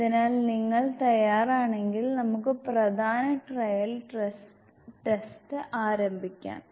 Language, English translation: Malayalam, So, if you ready then we can start with the main trial test